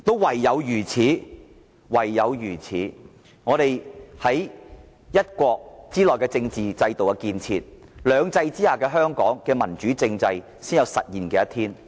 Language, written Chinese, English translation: Cantonese, 唯有如此，我們在一國之內的政治制度建設，兩制之下的香港的民主政制發展才有實現的一天。, Only in so doing can we contribute to the political development within the one country making it possible for the democratization of the political system in Hong Kong under two systems one day